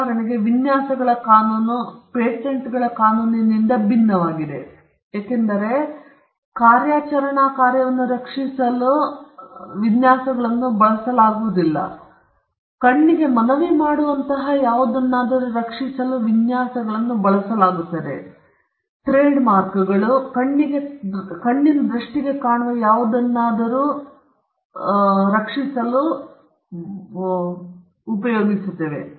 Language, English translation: Kannada, For instance, the law of designs is different from the law of patents, because designs are not used to protect something that is functional; designs are used to protect something that appeals to the eye, something that is visually appealing to the eye, but does not have a function behind it